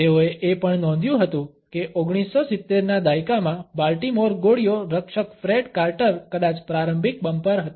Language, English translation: Gujarati, They had also noted that the Baltimore bullets guard Fred carter in the 1970’s was perhaps an early bumper